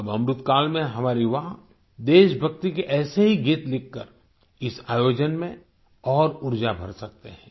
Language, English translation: Hindi, Now in this Amrit kaal, our young people can instill this event with energy by writing such patriotic songs